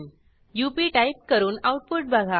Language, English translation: Marathi, Type in UP and see the output